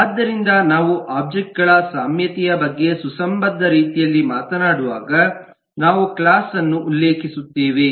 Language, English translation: Kannada, so when we talk about the commonality of the objects in a coherent manner, we refer to the class